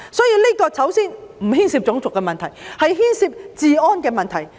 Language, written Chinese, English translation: Cantonese, 因此，首先，這不牽涉種族問題而是治安的問題。, Hence first of all this is not about race . This is about law and order